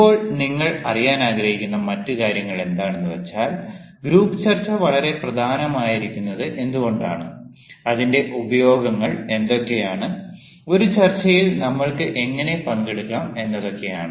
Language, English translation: Malayalam, now another thing that you would like to know is: why is group discussion so important, what are its uses and how we can participate in a discussion